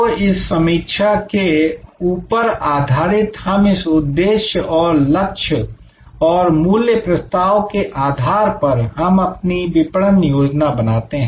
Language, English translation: Hindi, So, based on this set of analysis we derive this objectives and targets and value proposition and then, with that we create our marketing action plan